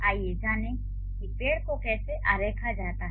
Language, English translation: Hindi, So, let's find out how to draw the tree